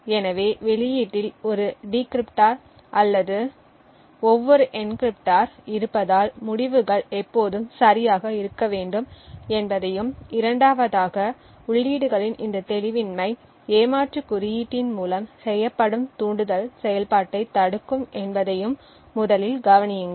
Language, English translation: Tamil, So, note first that since or every encryptor there is also a decryptor at the output the results should always be correct and secondly also note that this obfuscation of the inputs would prevent the cheat code from activating the trigger